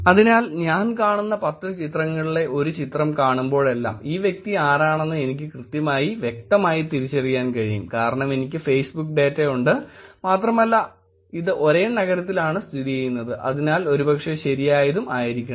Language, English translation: Malayalam, So every time I see one of the pictures in the 10 pictures that I see, I will be able to actually clearly exactly identify who this person is, because I have the Facebook data, this is done of the same city and therefore it should be probably correct and mechanical turkers actually confirmed that